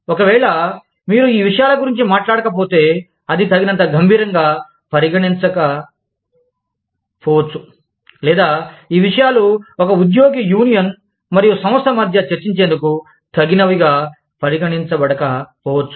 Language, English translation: Telugu, if, you are not talking about these things, then it may not be considered, serious enough, or, it may not be considered, appropriate enough, for these topics to be, for any other topic, to be discussed, between an employee